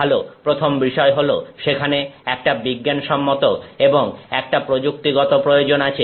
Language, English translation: Bengali, Well, first thing is there is like a scientific need and a technological need